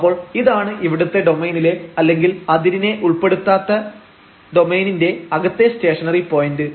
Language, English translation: Malayalam, So, this here is the stationary point in the domain or in the interior of this domain excluding the boundary